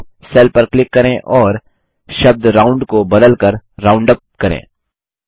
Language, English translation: Hindi, Lets click on the cell with the result and edit the term ROUND to ROUNDUP